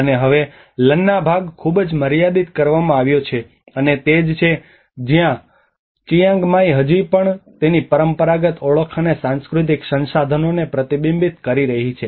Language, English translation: Gujarati, And now the Lanna part has been very limited, and that is where the Chiang Mai which is still reflecting its traditional identity and the cultural resources